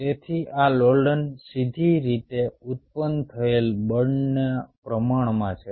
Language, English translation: Gujarati, so this oscillation is directly proportional to the force generated